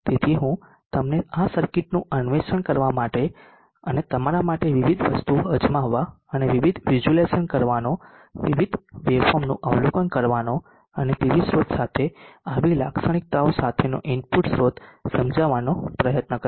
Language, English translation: Gujarati, So I will leave it to you to explore this circuit also and try out various things and try to visualize the way forms and try to understand the circuit with the PV source being the input source with IV characteristics as given